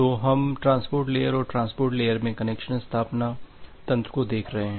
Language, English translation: Hindi, So, we are looking into the transport layer and the connection establishment mechanism in the transport layer